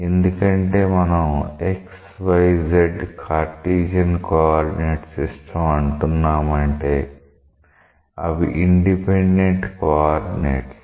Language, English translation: Telugu, The reason is like say when you think of xyz the Cartesian coordinate systems; these are independent coordinates